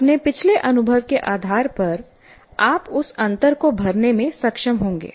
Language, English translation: Hindi, So you will be able to, based on your prior experience, you will be able to fill in that gap